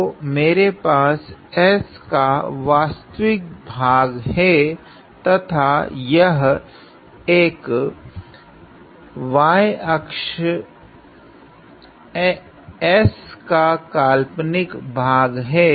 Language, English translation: Hindi, So, I have real of s and this one y axis will be the imaginary of s